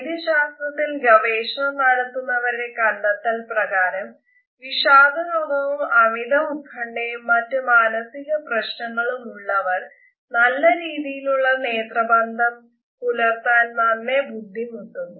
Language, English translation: Malayalam, Medical researchers have found that amongst people who are depressed or anxious or psychotic, there is a difficulty in maintaining a good and frequent eye contact